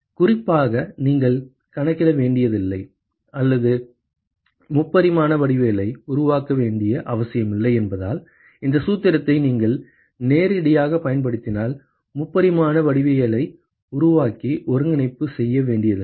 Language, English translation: Tamil, Particularly because you do not have to calculate or you do not have to construct the three dimensional geometry anymore, if you are able to use this formula straightaway, you do not have to construct the three dimensional geometry and do the integration